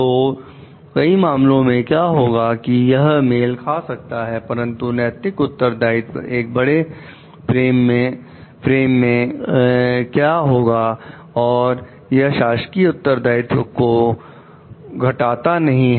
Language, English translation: Hindi, So, what happens in many cases this may coincide, but what happens moral responsibility is a bigger frame and it does not reduce to official responsibility